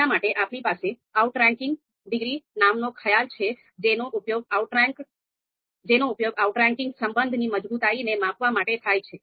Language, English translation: Gujarati, So for that, we have a concept called outranking degree, so that is used to actually measure the strength of the you know outranking relation